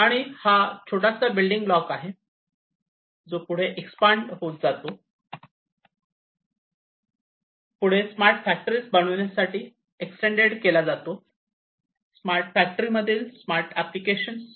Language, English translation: Marathi, And this is the small building block, which will be required to be expanded further; extended further in larger scale to build smart factories, smart applications in smart factories and so on